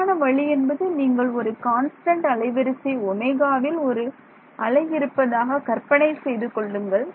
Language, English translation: Tamil, The correct way to think of it is to imagine there is a wave at a constant frequency omega right